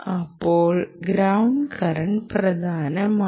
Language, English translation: Malayalam, the ground current becomes important